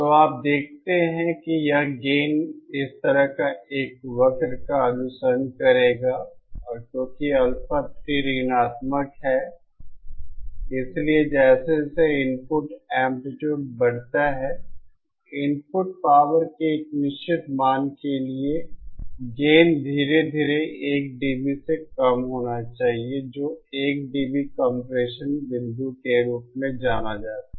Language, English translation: Hindi, So, you see this gain would follow a curve like this and because that Alpha 3 is negative, so as the input amplitude increases, the gain will gradually reduce from what it should have been by 1 dB for a certain value of the input power which is known as the 1 dB compression point